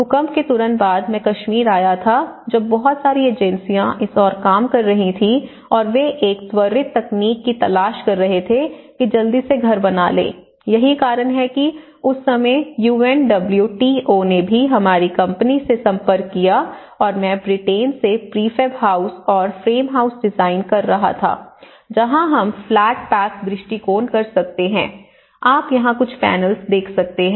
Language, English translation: Hindi, And I was immediately, after the post Kashmir earthquake, a lot of agencies were working towards it and they were looking for a quick technologies, quickly build houses that is why at that time UNWTO has also approached our company and I was actually designing some kind of prefab houses from Britain and where setting for frame houses where we can do a flat pack approach, what you can see is the panels here